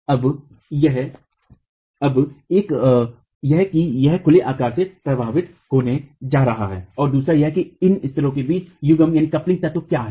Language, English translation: Hindi, Now, one, it is going to be affected by what is the size of the openings and two, what is the coupling element between these piers